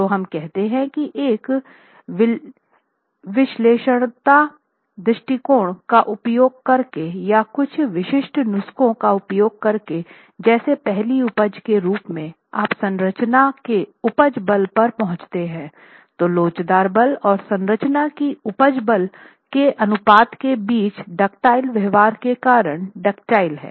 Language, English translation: Hindi, So let us say that using an analytical approach or using some specific prescription such as first yield, you arrive at the yield force of the structure, then this ratio between the elastic force and the yield force of the structure is the ductile behavior owing to ductility in the behavior